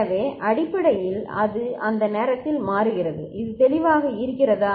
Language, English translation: Tamil, And so basically it toggles at that time is it clear